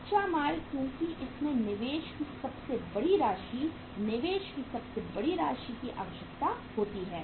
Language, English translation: Hindi, Raw material because it requires the largest amount of investment, biggest amount of investment